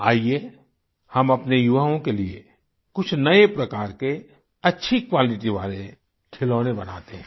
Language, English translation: Hindi, Come, let us make some good quality toys for our youth